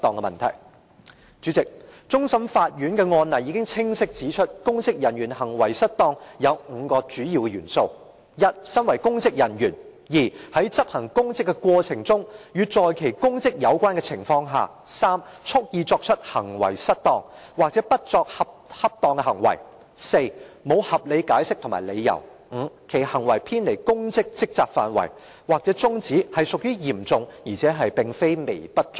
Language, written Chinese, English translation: Cantonese, 代理主席，終審法院的案例清晰指出，公職人員行為失當有5個主要元素：一，身為公職人員；二，在執行公職的過程中或在與其公職有關的情況下；三，蓄意作出失當行為，或不作出恰當行為；四，沒有合理解釋或理由；五，其行為偏離公職職責範圍或宗旨屬於嚴重而非微不足道。, Deputy President a case law of the Court of Final Appeal clearly points out the five key elements of the offence of misconduct in public office which include first a public official; second in the course of or in relation to his or her public office; third wilfully misconduct himself or herself by act or omission; fourth without reasonable excuse or justification; and fifth where such misconduct is serious not trivial having regard to the nature and extent of the departure from his or her responsibilities